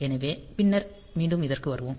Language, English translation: Tamil, So, we will come back to this again later